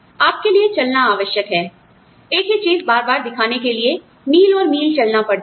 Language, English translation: Hindi, You are required to walk for, you know, sometimes miles and miles, showing people the same thing, again and again